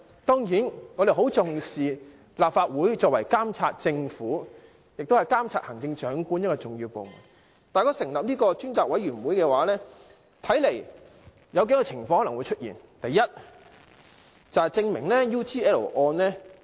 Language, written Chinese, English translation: Cantonese, 當然，我們很重視立法會作為監察政府及行政長官的一個重要部門，但如果成立這個專責委員會的話，我估計有可能出現數種情況。, Of course we attach great importance to the important function of the Legislative Council in monitoring the Government and the Chief Executive . But if a select committee is set up I can surmise the following situations